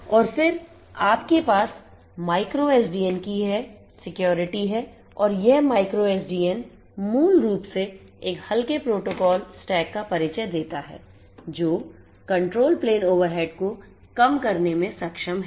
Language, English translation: Hindi, And then you have this contra you know the concepts of the micro SDN and this micro SDN basically introduces a lightweight protocol stack, it s a lightweight protocol stack that is capable of reducing the control plane overhead and it is based on the IEEE 802